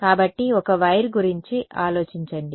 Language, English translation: Telugu, So, just think of a wire